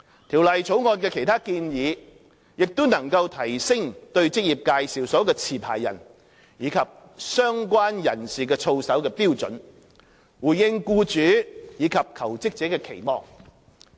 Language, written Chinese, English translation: Cantonese, 《條例草案》的其他建議亦能提升對職業介紹所的持牌人及相關人士的操守的標準，回應僱主及求職者的期望。, Other proposals in the Bill also enhance the standard of conduct of the licensees and associates of EAs in response to the aspirations of employers and job - seekers